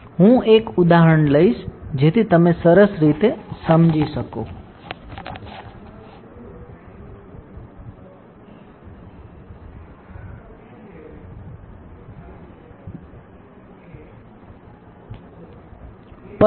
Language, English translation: Gujarati, So, I will take an example, so that you understand in a better way